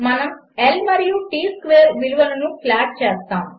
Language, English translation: Telugu, We shall be plotting L and T square values